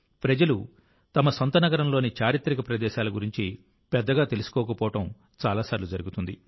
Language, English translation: Telugu, Many times it happens that people do not know much about the historical places of their own city